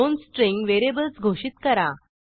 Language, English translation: Marathi, Declare 2 string variables